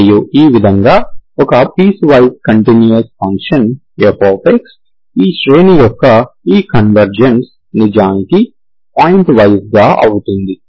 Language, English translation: Telugu, And this way for a piecewise continuous function fx, this convergence of this series is actually point wise